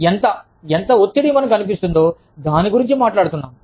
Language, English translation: Telugu, We are talking about, how much, how pressured, we feel